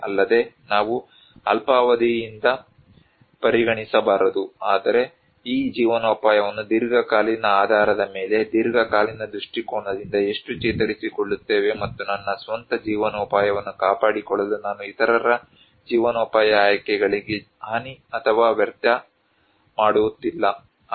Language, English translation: Kannada, Also, we should not consider from very short term, but we would see that how resilient this livelihood in long term basis, long term perspective and not undermine that in order to maintain my own livelihood I am not wasting, I am not harming others livelihood options or choices